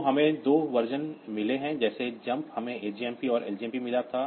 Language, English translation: Hindi, So, we have got two versions like just like this jump we had got ajmp and ljmp